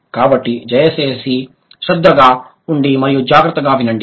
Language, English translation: Telugu, So, please be attentive and be careful